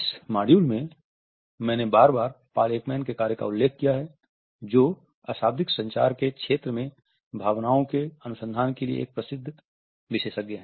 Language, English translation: Hindi, In this module, I have repeatedly referred to the work of Paul Ekman who is a renowned expert in emotions research, a non verbal communication